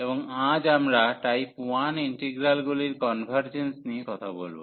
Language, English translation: Bengali, And today we will be talking about the convergence of type 1 integrals